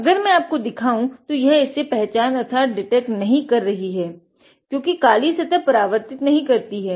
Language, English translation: Hindi, If I show here it is not detecting because of the black surfaces not reflecting